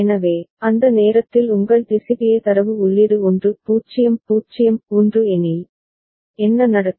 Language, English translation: Tamil, So, if you have got your DCBA data input at that time is 1 0 0 1, what will happen